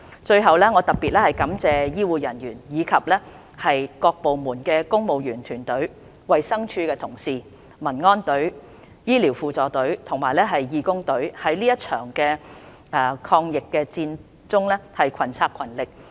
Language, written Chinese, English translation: Cantonese, 最後，我特別感謝醫護人員，以及各部門的公務員團隊、衞生署同事、民安隊、醫療輔助隊和義工隊在這場抗疫戰中群策群力。, Finally I have to extend my special thanks to health care personnel teams of civil servants of various departments colleagues of the Department of Health the Auxiliary Medical Service the Civil Aid Service and teams of volunteers for their concerted efforts in the battle against the epidemic